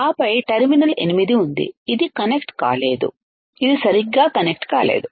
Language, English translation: Telugu, And then that there is terminal 8 which is not connected which is not connected right